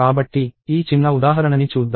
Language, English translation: Telugu, So, let us see this small example